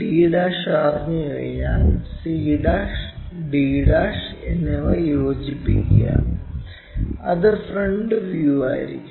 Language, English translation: Malayalam, Once we know d', join c' and d' and that will be the front view